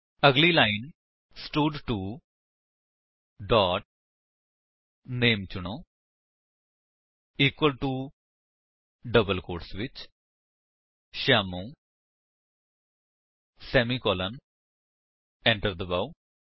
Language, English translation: Punjabi, Next line, stud2 dot select name equal to within double quotes Shyamu semicolon press Enter